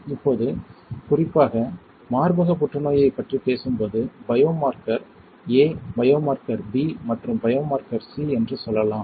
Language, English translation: Tamil, Now, in particular when we talk about breast cancer there are different biomarkers, let us say biomarker A, biomarker B, and biomarker C alright